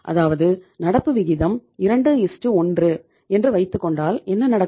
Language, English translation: Tamil, So it means if you have the current ratio of 2:1